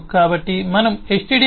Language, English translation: Telugu, h with stdio